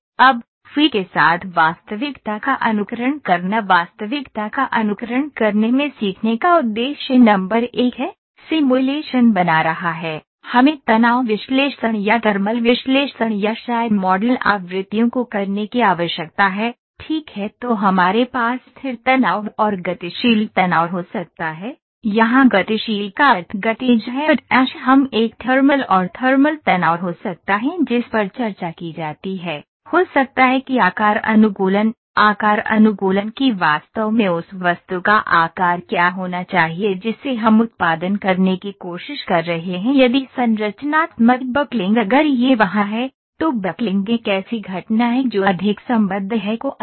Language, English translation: Hindi, Now, simulating reality with FEA the learning objectives in simulating reality are number one is creating simulations, creating simulation is do we need to do stress analysis or thermal analysis or maybe model frequencies, right then we can have static stress, static and dynamic stress, here dynamic means kinematic then we can have a thermal and thermal stresses that is discussed then maybe shape optimisation, shape optimization that what exactly should be the shape of the object that we are trying to produce then structural buckling if it is there, buckling is a phenomenon that is more associated with columns